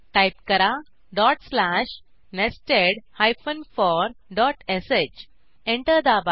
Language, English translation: Marathi, Type dot slash nested for dot sh Press Enter